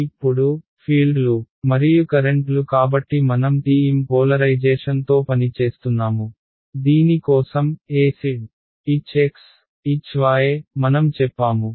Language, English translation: Telugu, Now, the fields and the currents so we are working with TM polarization right, for which E z H x and H y this is what we said